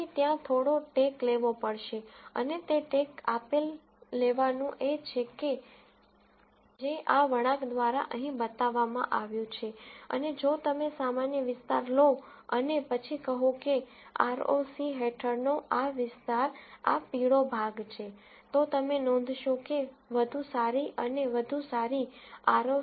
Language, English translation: Gujarati, So, there has to be some give take and that given take is what is shown by this curve right here and if you take a normalized area and then say this area under ROC is this yellow portion, then you would notice that better and better ROC curves are things like this